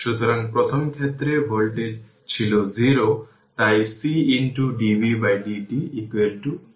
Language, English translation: Bengali, So, first case voltage was 0 so C into your dv by dt 0